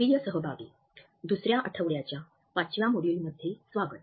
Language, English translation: Marathi, Dear participants, welcome to the 5th module of the second week